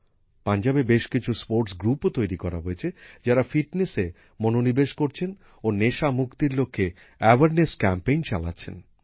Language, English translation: Bengali, Many sports groups have also been formed in Punjab, which are running awareness campaigns to focus on fitness and get rid of drug addiction